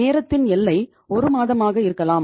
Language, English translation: Tamil, Time horizon can be 1 month